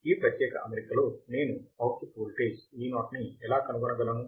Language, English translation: Telugu, In this particular configuration, how can I find my output voltage Vo